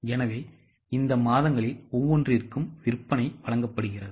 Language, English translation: Tamil, So, sales are given for each of these months